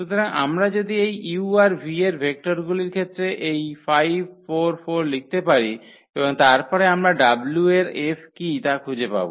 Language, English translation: Bengali, So, if we can write down this 5 4 4 in terms of the vectors u and v then we can find out what is the F of w